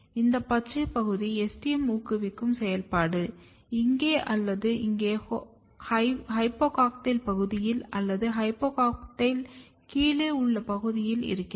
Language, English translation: Tamil, If we look the green region is STM promoter active, either here or here in the hypocotyl region below the hypocotyl region